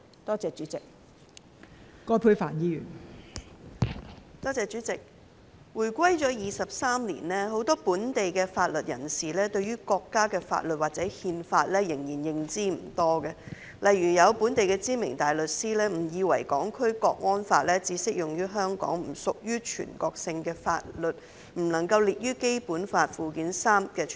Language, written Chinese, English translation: Cantonese, 代理主席，香港回歸23年，很多本地的法律人士對於國家的法律或《憲法》仍然認知不多，例如有本地的知名大律師誤以為《港區國安法》只適用於香港，不屬於全國性的法律，因而不能夠列於《基本法》附件三。, Deputy President though it has been 23 years since the handover of Hong Kong many local legal practitioners still do not have sufficient knowledge of the laws of the State or the Constitution . For example some renowned local barristers wrongly think that the National Security Law is only applicable to Hong Kong and is not a national law hence it should not be listed in Annex III to the Basic Law